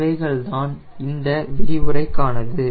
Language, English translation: Tamil, thank you, thats all for this lecture